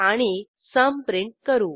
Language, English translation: Marathi, And we print the sum